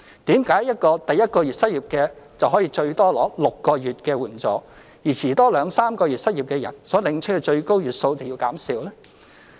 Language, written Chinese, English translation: Cantonese, 為甚麼第一個月失業的最多可以領取6個月援助，而遲兩三個月失業所領取的最高月數便要減少？, Why is it that a person losing his job in the first month can receive assistance for up to six months whereas for those who are out of job two or three months later the maximum number of months for receiving assistance will be less?